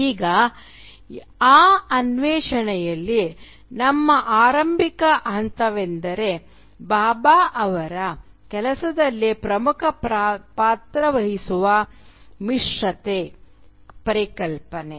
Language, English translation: Kannada, Now our starting point in this exploration today will be the concept of hybridity which plays a central role in Bhabha’s work